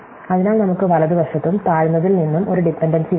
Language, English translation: Malayalam, So, we have a dependency coming to the right and from the low as well